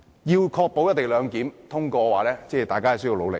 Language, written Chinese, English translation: Cantonese, 要確保《條例草案》獲得通過的話，大家需要努力。, We all have to work hard to ensure the passage of the Bill